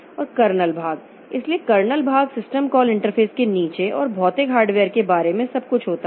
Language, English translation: Hindi, And the kernel part, so kernel part it consists of everything below the system call interface and above the physical hardware